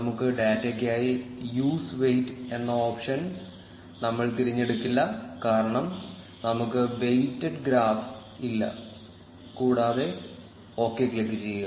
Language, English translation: Malayalam, For our data, we will unselect the use weight option, because we do not have a weighted graph and click on ok